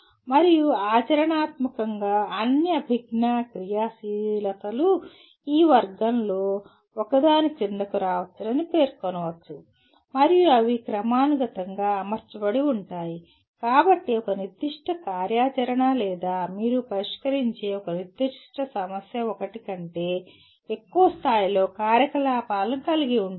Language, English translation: Telugu, And practically all cognitive actives can be it is claimed can be can come under one of these categories and they are hierarchically arranged so a particular activity or a particular problem that you are addressing may involve activities at more than one level